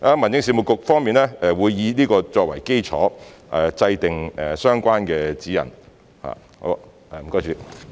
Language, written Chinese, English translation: Cantonese, 民政事務局方面會以此作為基礎，制訂相關的指引。, The Home Affairs Bureau will use this as the basis for formulating the relevant guidelines